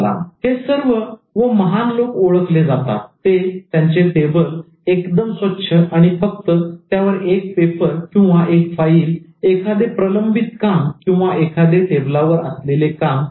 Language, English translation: Marathi, So they were all known for keeping the table very clean and then only keeping one paper, one file, one pending job or one work to do on the table